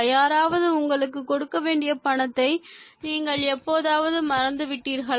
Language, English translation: Tamil, Have you ever forgotten the money somebody owes you